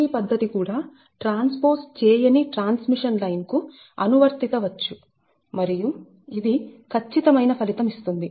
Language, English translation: Telugu, ah gmd method also can be applied to untransposed transmission line and it is quite, it keeps quite, accurate result